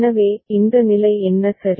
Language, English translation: Tamil, So, what this state a ok